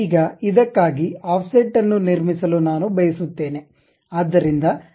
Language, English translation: Kannada, Now, I would like to construct offset for this